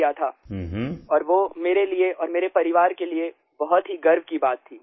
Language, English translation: Hindi, It was a matter of great pride for me and my family